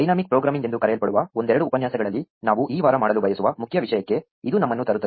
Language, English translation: Kannada, This brings us to the main topic that we want to do this week in a couple of lectures which is called dynamic programming